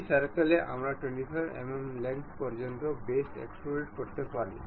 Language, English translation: Bengali, On this circle we can extrude boss base up to 25 mm length